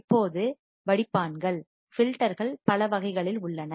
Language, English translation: Tamil, Now, filters are of several types